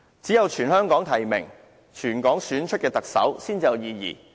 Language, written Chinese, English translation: Cantonese, 只有全香港提名，由全港市民選出的特首，才有意義。, It will only be meaningful if the Chief Executive is nominated via a territory - wide nomination mechanism and elected by Hong Kong people